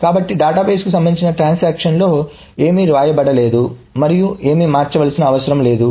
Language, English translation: Telugu, So nothing is being written by any of these transactions to the database and nothing needs to be changed